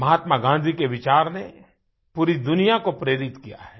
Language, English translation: Hindi, Mahatma Gandhi's philosophy has inspired the whole world